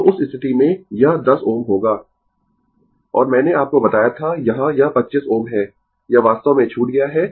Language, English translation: Hindi, So, in that case, it will be 10 ohm and I told you, here it is 25 ohm right, this is missed actually